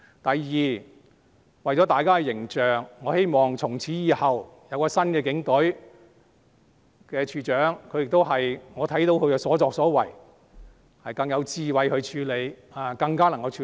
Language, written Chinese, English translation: Cantonese, 第二，為了大家的形象，我希望從此以後，有新的警隊，有新處長的帶領——我看到他的所作所為，他可以更有智慧的處理，也更加能處理。, Second for the sake of image I hope that from now on there will be a new Police Force led by a new Commissioner―I have seen what he has done he can handle things in a wiser manner and he is more capable of dealing with all this